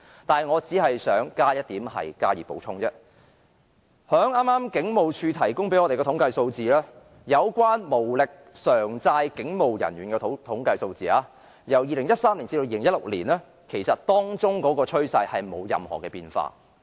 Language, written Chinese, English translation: Cantonese, 但是，我只想補充一點，從警務處剛剛向我們提供的統計數字看來，無力償債的警務人員的統計數字，由2013年至2016年的趨勢並沒有任何變化。, But I wish to add just one point . From the statistics that HKPF have just provided to us there was not any change in the trend of the number of police officers with unmanageable debts between 2013 and 2016